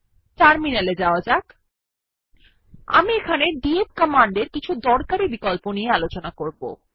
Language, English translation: Bengali, Let us shift to the terminal, I shall show you a fewuseful options used with the df command